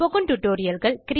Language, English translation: Tamil, What is a Spoken Tutorial